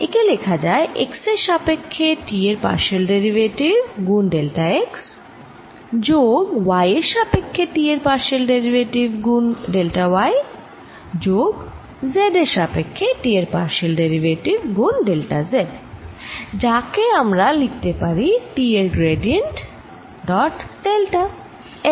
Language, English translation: Bengali, this is given as partial derivative of t with respect to x, delta x plus partial t over partial y, delta y plus partial t over partial z, delta z, which we denoted as gradient of t, dot delta l